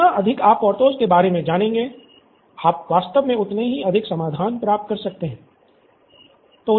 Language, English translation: Hindi, So, more you know about Porthos you can actually get more solution